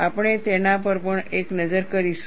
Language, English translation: Gujarati, We will also have a look at it